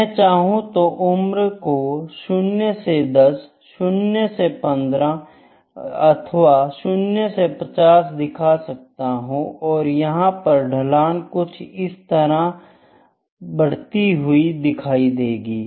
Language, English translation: Hindi, Here I can show the age from 0 to 10 years, it from 0 to 15 years, it is like 0 to 50 year, it is like this there is a slope that is increasing like this